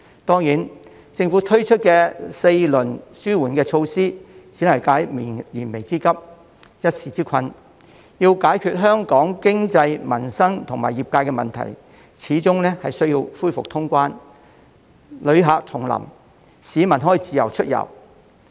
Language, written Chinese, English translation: Cantonese, 當然，政府推出的4輪紓緩措施只能解燃眉之急、一時之困，要解決香港經濟、民生及業界的問題，始終需要恢復通關、旅客重臨、市民可以自由出遊。, Certainly the four rounds of relief measures launched by the Government can only act as a temporary relief for the most pressing needs . If we are to revive the economy of Hong Kong address the livelihood issues of the people and the problems of our industry the border and boundary crossings must be reopened for tourists and we are allowed to freely travel